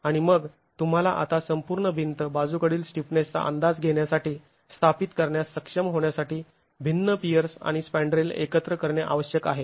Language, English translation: Marathi, And then you now need to assemble the different peers and the spandrels to be able to establish the lateral stiffness of the entire wall